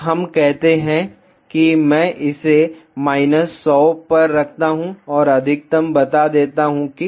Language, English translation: Hindi, Let us say I keep it to minus 100 and max as let us say 30 apply ok